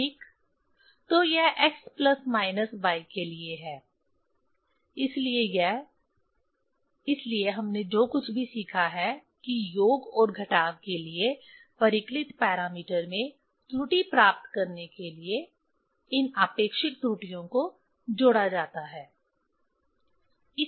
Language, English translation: Hindi, So, this for x plus minus y, so this; so whatever we have learned that for summation and subtraction, these absolute errors are added for getting the error in the calculated parameter